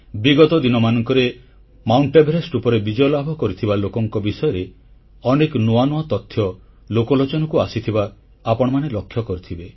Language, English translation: Odia, Recently, you must have come across quite a few notable happenings pertaining to mountaineers attempting to scale Mount Everest